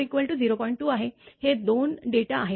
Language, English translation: Marathi, 2, this, these two data